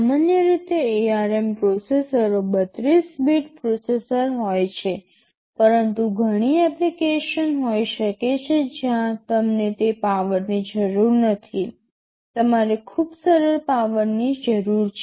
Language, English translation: Gujarati, Normally ARM processors are 32 bit processors, but there may be many application where you do not need that power, you need much simpler power